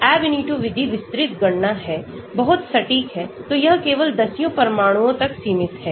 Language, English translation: Hindi, The Ab initio method is detailed calculations, very accurate, so it is limited to tens of atoms only